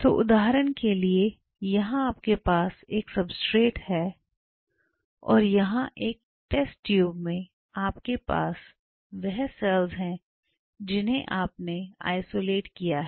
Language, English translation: Hindi, So, say for example, here you have the substrate and here you have in your small test tube you have the cells what you have isolated and I am showing the